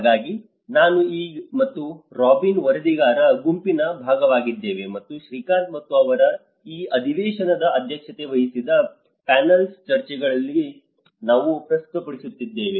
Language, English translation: Kannada, So, myself and Robyn were the part of the rapporteuring group, and we were actually presented in the panel discussions where Shrikant and they were chairing this session